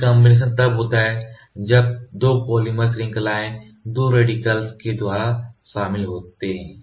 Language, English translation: Hindi, Recombination occurs when 2 polymer chains merges to by joining 2 radicals